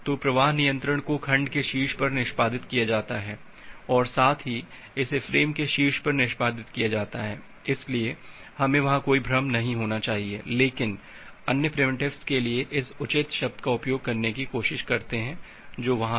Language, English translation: Hindi, So, the flow controls are executed on top of segment as well as it is executed on top of frames, so we should not have any confusion there; but for the other primitives try to utilize this proper term which is there